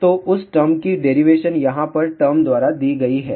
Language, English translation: Hindi, So, the derivation of that is given by the term over here